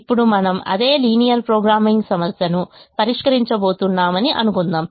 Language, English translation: Telugu, now let us assume that we are going to solve the same linear programming problem